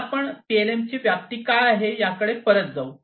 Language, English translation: Marathi, So, we will going back what is the scope of PLM